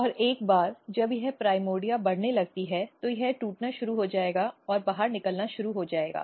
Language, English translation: Hindi, And once this primordia start growing, then it will rupture and it will start coming it will come out